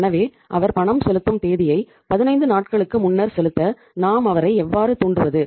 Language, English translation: Tamil, So how we can induce him so that he can prepone the payment date by 15 days